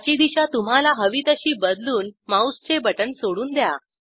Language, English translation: Marathi, Change orientation in the desired direction and release the left mouse button